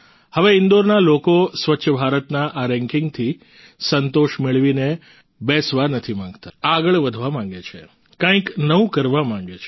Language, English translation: Gujarati, Now the people of Indore do not want to sit satisfied with this ranking of Swachh Bharat, they want to move forward, want to do something new